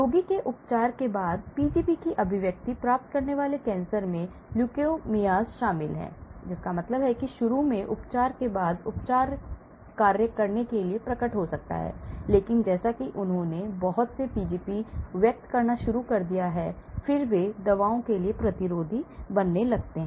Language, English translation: Hindi, Cancers which acquire expression of P gp following treatment of the patient include leukemias that means after treatment initially, the treatment may appear to work but as they started expressing lot of Pgps, then they start becoming a resistant to those drugs